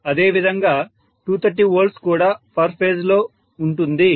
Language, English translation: Telugu, Similarly, 230 watt we are mentioning is per phase